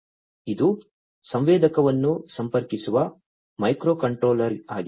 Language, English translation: Kannada, So, this is this microcontroller to which the sensor is getting connected